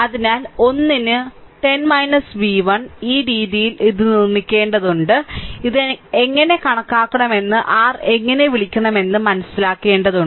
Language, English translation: Malayalam, So, 10 minus v 1 upon 1 so, this way you have to make it, you have to see you have to understand that how to make your what to call how to compute this right